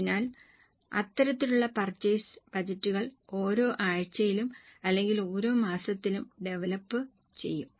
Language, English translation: Malayalam, So, such types of purchase budgets will be developed for each week or for each month and so on